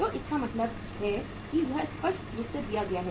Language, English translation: Hindi, So it means it is clearly given